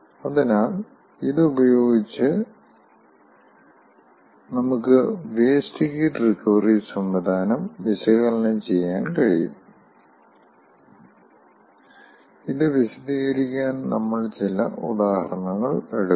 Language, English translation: Malayalam, so with this we will be able to analyze the wasted recovery system and we will take up certain examples to illustrate this